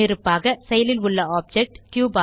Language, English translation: Tamil, By default, the cube is the active object